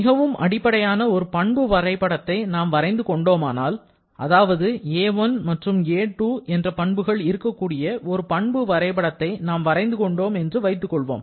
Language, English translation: Tamil, If we draw a very basic property diagram, let us say I draw a property diagram where we are using some properties a1 and a2 based upon which we are plotting